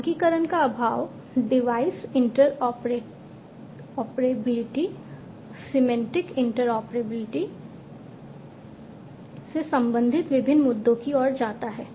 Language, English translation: Hindi, So, lack of standardization leads to different issues related to device interoperability, semantic interoperability device interoperability is understood